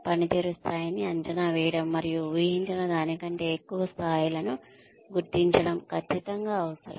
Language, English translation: Telugu, It is absolutely essential, to assess the performance level, and recognize levels that are higher than expected